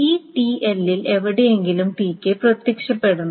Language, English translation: Malayalam, So, TK must be appearing somewhere in that